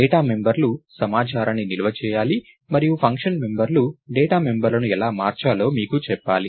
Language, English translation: Telugu, So, the data members are supposed to store the information and the function members are supposed to tell you how to manipulate the data members, right